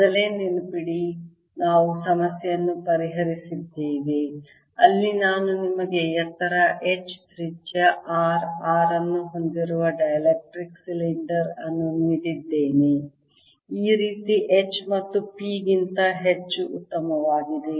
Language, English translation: Kannada, remember, earlier we had solved a problem where i had given you a dielectric cylinder with height h, radius r, r, much, much, much better than h and p going up